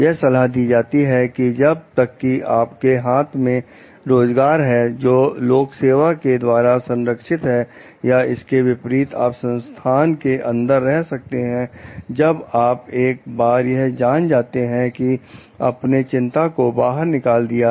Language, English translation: Hindi, It advises that unless you have a job that is protected by civil service or the like, it is unlikely that you could stay inside the organization once you know that you have taken your concerns outside